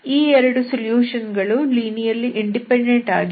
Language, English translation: Kannada, This is how you can find 2 linearly independent solutions